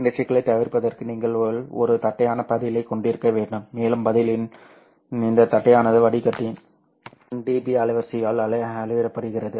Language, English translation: Tamil, In order to avoid this problem, you have to have a flat response, and this flatness of the response measured by the 1db bandwidth of the filter